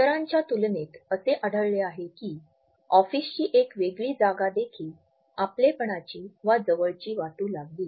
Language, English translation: Marathi, In comparison to others we find that a different office space can also make us feel rather clingy